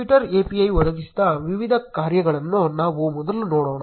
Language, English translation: Kannada, Let us first look at the various functionalities provided by twitter API